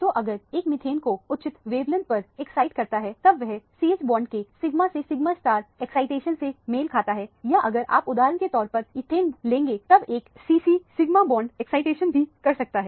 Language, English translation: Hindi, So, if one excites the methane in the appropriate wavelength, it will correspond to the sigma to sigma star excitation of the c h bond or if you take ethane for example, one can do the c c sigma bond excitation also